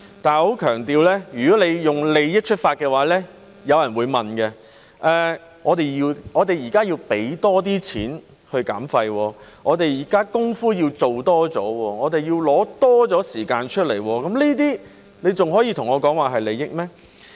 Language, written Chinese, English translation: Cantonese, 但是，我要強調，如果從利益出發的話，有人便會問，我們現在要多付金錢去減廢，要多做工夫，亦要花費更多的時間，這還可以說是利益嗎？, However I must emphasize that if we do it because it is in our interest some people may ask what interest there is to speak of when we have to pay extra money do extra work and spend extra time to reduce waste now